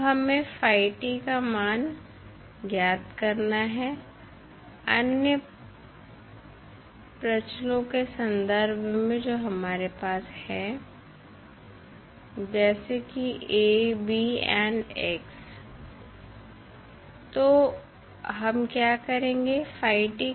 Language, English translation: Hindi, Now, we need to find out the value of phi t in term of the other parameters which we have like we have A, B and x, so what we will do